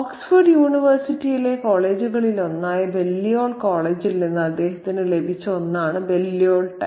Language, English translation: Malayalam, The Balliol tie is something that he is, he has received from Balliol College, one of the colleges at Oxford University